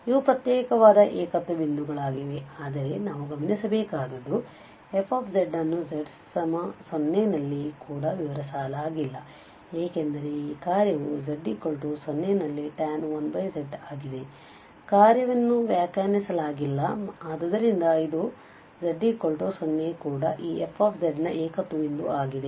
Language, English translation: Kannada, So, these are the isolated singular points, but what we should note that the fz is also not defined at z equal to 0 because this function is tan 1 over z, so at z equal 0 also the function is not defined and therefore, this z equal to 0 is also a singular point of this fz